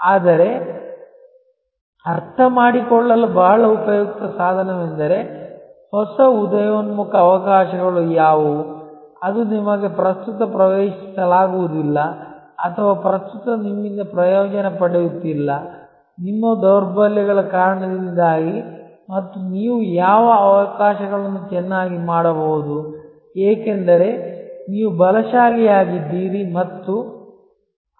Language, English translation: Kannada, But, very useful tool to understand, that what are the new emerging opportunities which are sort of not accessible to you currently or not being avail by you well currently, because of your weaknesses and what opportunities you can do very well, because you are strong in those